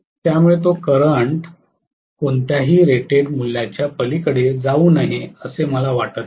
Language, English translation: Marathi, So I do not want that current to go up beyond whatever is the rated value